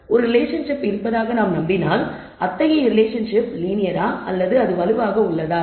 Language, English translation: Tamil, And if we believe there is a relationship, then we would not want to find out whether such a relationship is linear or not